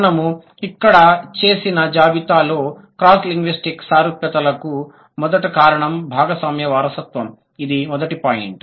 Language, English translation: Telugu, So, the first reason of the cross linguistic similarities that we have listed here is shared inheritance, the first point